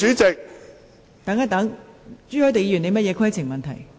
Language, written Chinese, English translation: Cantonese, 朱凱廸議員，你有甚麼規程問題？, Mr CHU Hoi - dick what is your point of order?